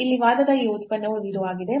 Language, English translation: Kannada, So, this product here of the argument is 0